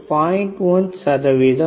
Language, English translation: Tamil, 1 percent right